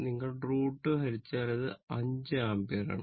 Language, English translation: Malayalam, So, that is why this is 5 ampere